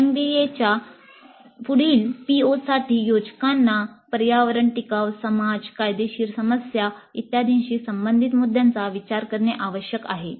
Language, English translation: Marathi, Further, POs of NBA require designers to consider issues related to environment, sustainability, society, legal issues, and so on